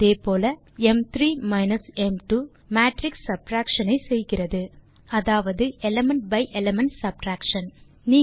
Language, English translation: Tamil, Similarly,m3 minus m2 does matrix subtraction, that is element by element subtraction